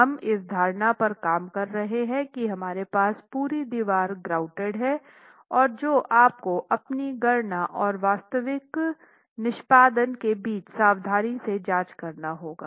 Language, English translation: Hindi, We are working with an assumption where the entire wall is grouted and that is again something that you should carefully check between your calculations and actual execution itself